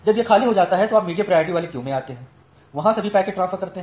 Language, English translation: Hindi, When it becomes empty you come to the medium priority queue transfer all the packets